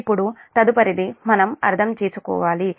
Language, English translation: Telugu, now next one is little bit we have to understand